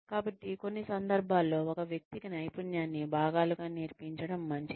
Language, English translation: Telugu, So, in some cases, it may be better for a person, to be taught, the skill in pieces